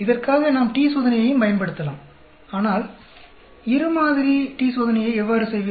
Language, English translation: Tamil, We can also use t test for this, but then how do you do the two sample t test